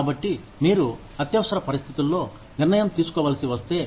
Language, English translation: Telugu, So, if you have to take decision, in an emergency